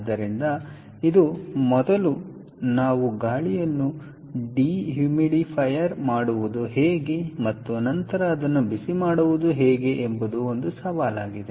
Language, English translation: Kannada, so this is going to be a challenge: how do we first dehumidifier the air and then heat it up, and so on